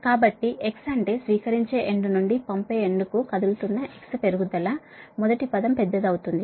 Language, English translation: Telugu, that means when you are moving from receiving end to sending end, x is increasing